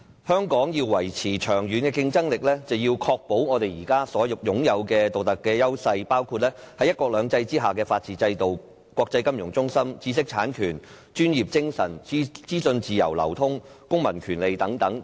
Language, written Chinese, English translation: Cantonese, 香港要維持長遠的競爭力，便必須維持現時所擁有的獨特優勢，包括在"一國兩制"之下的法治制度、國際金融中心地位、知識產權制度、專業精神、資訊自由流通和公民權利等。, If Hong Kong is to remain competitive in the long run it must maintain its unique advantages at present including its rule of law its status as a world financial centre its intellectual property rights regime its professional ethics its free flow of information and its civil rights under one country two systems